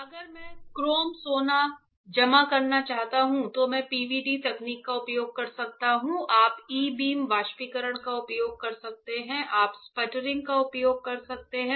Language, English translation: Hindi, If I want to deposit metal chrome gold at, then I can use a PVD technique; you can use e beam evaporation, you can use sputtering